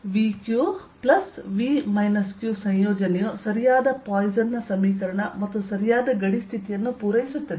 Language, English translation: Kannada, so the combination v, q plus v minus q satisfies the correct poisson's equation and the correct boundary condition